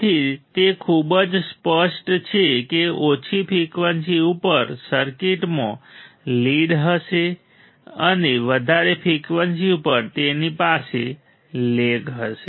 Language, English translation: Gujarati, So, it is very obvious right from the circuit at low frequency it will have a lead and at higher frequency it has it will have a lag